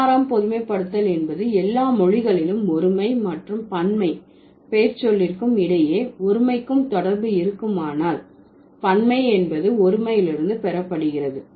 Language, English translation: Tamil, 16th generalization says in all languages, if there is a derivational relationship between the singular and the plural pronoun the plural is derived from the singular rather than vice versa